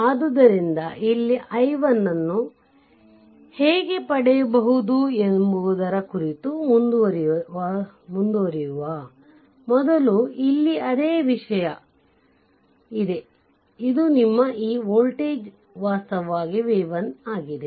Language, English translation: Kannada, So, before proceeding further how to obtain i 1 here, here is the same thing here also same thing this is your plus this voltage actually v 1, right, this voltage is v 1; you make it